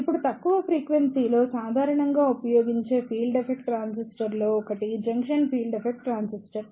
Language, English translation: Telugu, Now, one of the commonly used Field Effect Transistor at low frequency is Junction Field Effect Transistor